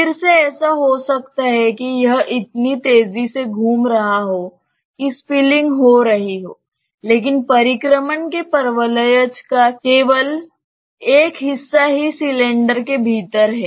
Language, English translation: Hindi, Again it may so happen that it is rotating so fast that it is spilling, but only the part of the paraboloid of revolution is within the cylinder